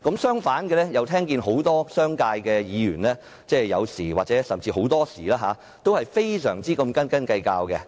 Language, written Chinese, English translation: Cantonese, 相反，很多商界的議員有時候甚至很多時候都非常斤斤計較。, Many Members in the business sector on the contrary are very calculating sometimes or even all the time